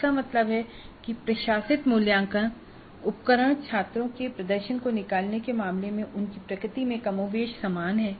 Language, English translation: Hindi, That means the assessment instruments administered are more or less similar in their nature in terms of extracting the performance of the students